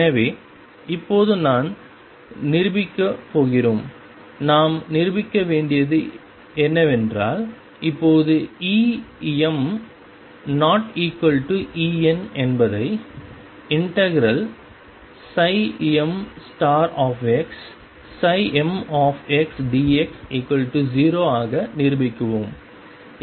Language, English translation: Tamil, So now I am going to prove that if what we have to prove, now prove if E m is not equal to E n then integration psi m star x psi m x d x is equal to 0